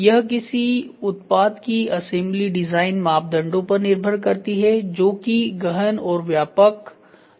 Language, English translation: Hindi, Assembly of a product is a function of design parameters that are both intensive and extensive in nature